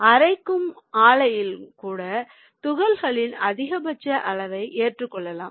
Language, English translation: Tamil, they can also accept a maximum size of the particle